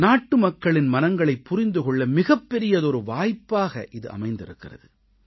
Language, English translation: Tamil, This has become a great opportunity for me to understand the hearts and minds of one and all